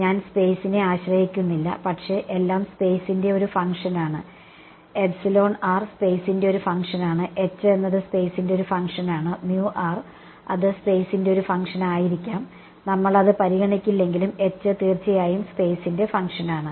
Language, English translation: Malayalam, I have not put the dependence on space, but everything is a function of space, epsilon r is a function of space, h is a function of space, mu r could also be a function of space although we will not consider it and h is of course, the function of space